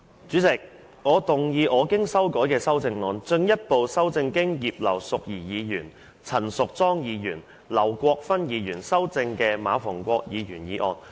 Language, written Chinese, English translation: Cantonese, 主席，我動議我經修改的修正案，進一步修正經葉劉淑儀議員、陳淑莊議員及劉國勳議員修正的馬逢國議員議案。, President I move that Mr MA Fung - kwoks motion as amended by Mrs Regina IP Ms Tanya CHAN and Mr LAU Kwok - fan be further amended by my revised amendment